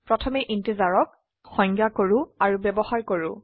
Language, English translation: Assamese, Let us define and use integers first